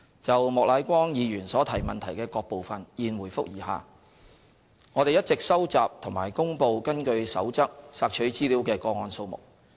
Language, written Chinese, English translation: Cantonese, 就莫乃光議員所提質詢的各部分，現回覆如下：一我們一直收集及公布根據《守則》索取資料的個案數目。, Our reply to various parts of question raised by Mr Charles Peter MOK is as follows 1 We have all along been collecting and releasing the number of requests for information made under the Code